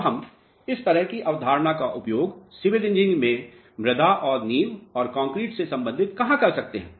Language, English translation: Hindi, Now, where we can utilize this type of concept in civil engineering related to soils and foundation and in the concrete